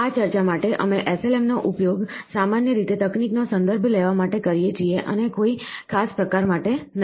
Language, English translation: Gujarati, For this discussion, we use SLM to refer to the technologies in general and not to any particular variant